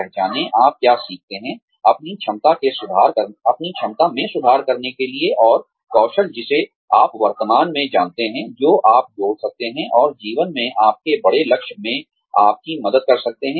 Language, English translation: Hindi, Identify, what you can learn, to improve your potential, and the skills, that you can add to, what you currently know, and help you in, your larger goal in life